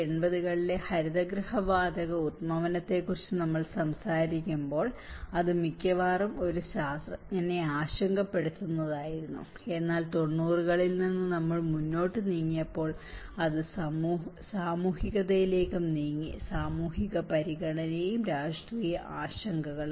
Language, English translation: Malayalam, When we talk about the greenhouse gas emissions in the 1980’s, it was mostly as a scientist concerns, but as we moved on from 90’s, it has also moved towards the social; the social concern as well and the political concern